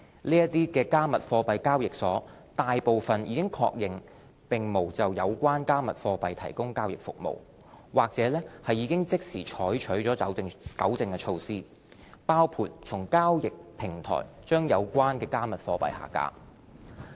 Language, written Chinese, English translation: Cantonese, 這些"加密貨幣"交易所大部分已確認並無就有關"加密貨幣"提供交易服務，或已即時採取糾正措施，包括從交易平台將有關"加密貨幣"下架。, Most of these cryptocurrency exchanges either confirmed that they did not provide trading services for such cryptocurrencies or took immediate rectification measures including removing such cryptocurrencies from their platforms